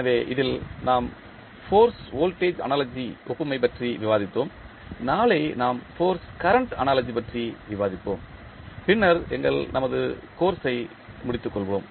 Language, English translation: Tamil, So, in this we discussed force voltage analogy, tomorrow we will discuss force current analogy and then we will wind up our course